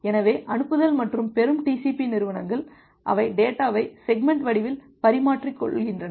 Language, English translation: Tamil, So, the sending and the receiving TCP entities they exchange the data in the form of segment